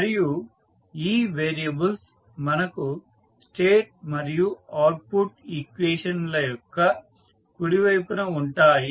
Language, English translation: Telugu, So, in this way you can define the state and output equation